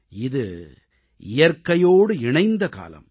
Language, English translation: Tamil, This is a festival linked with nature